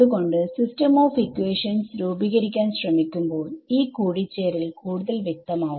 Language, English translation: Malayalam, So, when we try to form the system of equations this will become even more clear this coupling that is happening